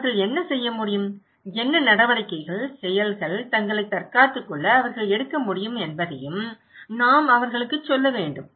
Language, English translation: Tamil, We should also tell them that what they can do, what measures, actions, preparedness they can take to protect themselves